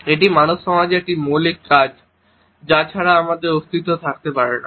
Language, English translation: Bengali, This is a fundamental function of human society without which we cannot exists